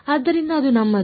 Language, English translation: Kannada, So, that is our